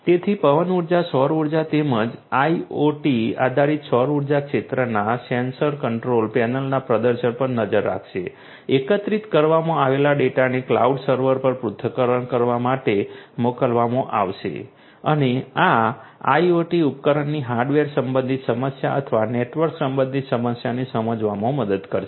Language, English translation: Gujarati, So, wind energy solar energy as well IoT based solar energy sector sensors would monitor the performances from the control panel, the gathered data will be sent to the cloud server to analyze and this IoT would help to understand the problem of device whether it is the hardware related problem or the network related problem